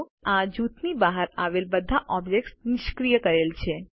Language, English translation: Gujarati, Notice that all the objects outside the group are disabled